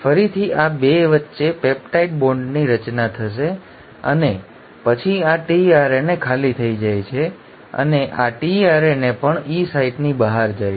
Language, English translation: Gujarati, Again there will be a peptide bond formation between these 2 and then this tRNA becomes empty and then this tRNA also moves out of the E site